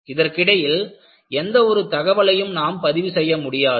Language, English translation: Tamil, So, you do not record any other information in between